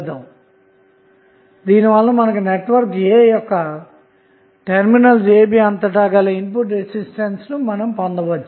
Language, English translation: Telugu, So, what will you get from this, we will get input resistance across the terminals of network A